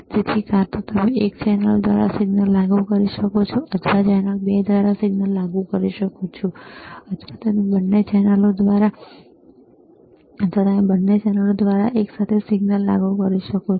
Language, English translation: Gujarati, So, either you can apply signal through channel one, or you can apply signal through channel 2, or you can apply signal through both channels simultaneously, right